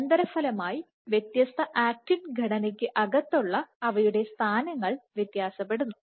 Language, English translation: Malayalam, So, as the consequence the localization within different actin structures varies notably